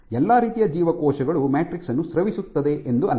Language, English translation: Kannada, So, it is not that all types of cells can secrete the matrix